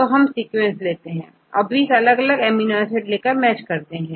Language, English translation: Hindi, So, we take the sequence and get the 20 different amino acids and do a matching